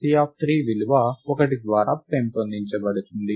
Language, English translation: Telugu, Then the value C of 3 is incremented by 1